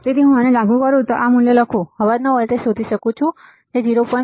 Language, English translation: Gujarati, So, if I apply this if I write this values I can find out the noise voltage which is 0